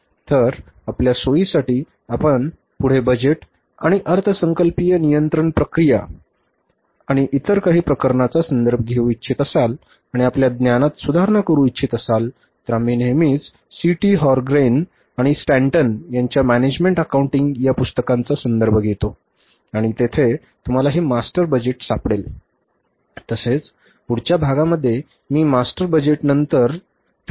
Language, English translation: Marathi, So, for your convenience that if you further want to refer the budget and budgetary control process and some other cases, some other problems and want to improve your knowledge, you always refer to the book that is management accounting by C